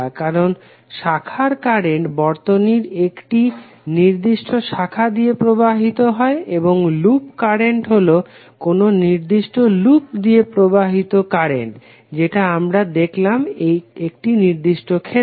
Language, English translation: Bengali, Because branch current flows in a particular branch of the circuit and loop will be same current flowing through a particular loop which we have just saw in the particular case